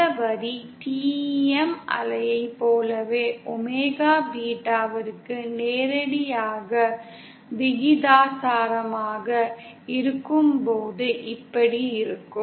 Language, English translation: Tamil, Now this is the line for when omega is directly proportional to beta as in the case of TEM wave